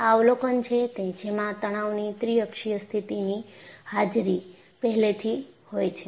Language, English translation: Gujarati, So, the observation is there was presence of a triaxial state of stress